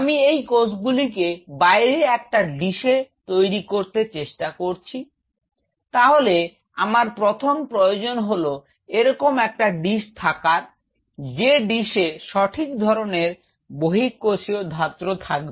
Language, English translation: Bengali, I have tried to grow the cells outside on a dish, then it is the prime prerequisite is if I have a dish like this the dish should have the right set of extra cellular matrix